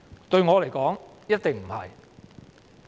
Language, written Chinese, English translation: Cantonese, 對我來說，一定不能。, As far as I am concerned the answer is certainly no